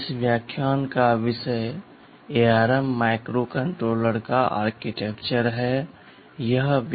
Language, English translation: Hindi, TSo, the topic of this lecture is Architecture of ARM Microcontroller, this is the first part of the lecture